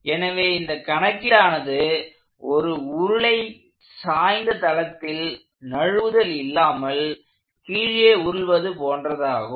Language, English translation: Tamil, So, this problem is akin to a cylinder rolling down an inclined plane under no slip conditions